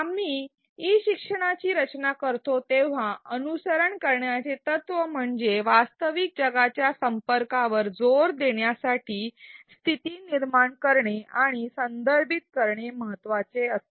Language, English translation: Marathi, An important principle to follow when we design e learning is to situate and contextualize Learning to emphasize real world connections